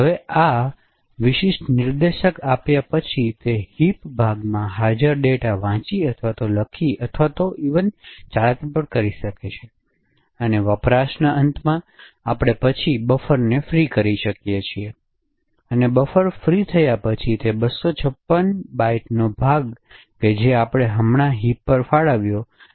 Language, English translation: Gujarati, Now given this particular pointer, can read or write or manipulate data present in that heap chunk and at the end of usage we can then free to the buffer and after the buffer is freed that chunk of 256 bytes which we have just allocated in the heap can be used by other malloc which may be present in the program